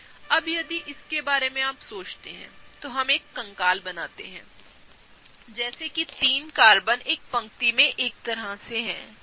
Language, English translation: Hindi, Now, if you think about it, let us draw a skeleton such that the 3 carbons are kind of in one line, okay